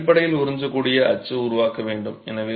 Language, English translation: Tamil, You have to basically create the absorbent mold